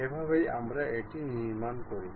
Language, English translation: Bengali, This is the way we construct it